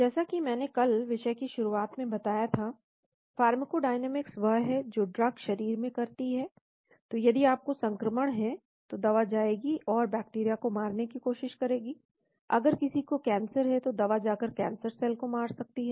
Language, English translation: Hindi, As I had introduced the topic yesterday, pharmacodynamics is what the drug does to the body, so if you have an infection the drug will go and try to kill bacteria, if somebody has a cancer the drug may go and kill the cancer cell